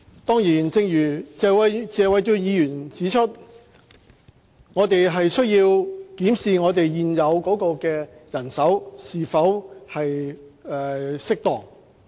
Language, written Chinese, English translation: Cantonese, 當然，正如謝偉俊議員指出，我們有需要檢視現有人手是否適當。, Certainly as Mr Paul TSE pointed out just now we need to look into whether or not the existing manpower is adequate